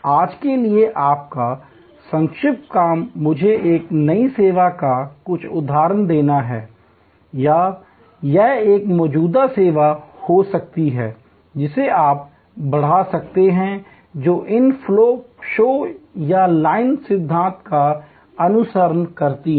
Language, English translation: Hindi, Your short assignment for today is to give me some example of a new service or it could be an existing service, which you can enhance, which follows these flow shop or line principle